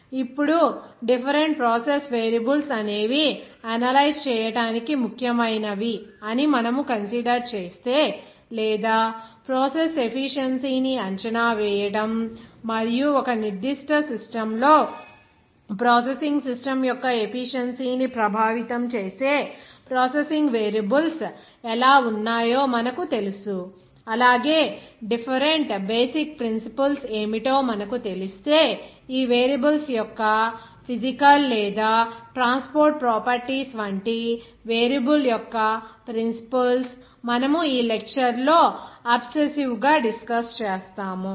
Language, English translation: Telugu, Now, if we consider that what are the different processes variables are important to analyze or to you know that assess the process efficiency and in a particular systems how those process variables are that affect the efficiency of the processing system as well as what are different basic principles of that variable like physical or transport properties of those variables that we will discuss in this lecture obsessively